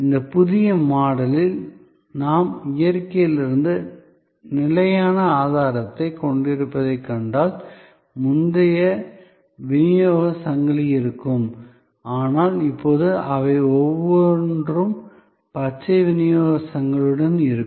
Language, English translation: Tamil, If you see therefore in this new model, we have sustainable sourcing from nature, there will be those earlier supply chain, but now, they will have per with green supply chain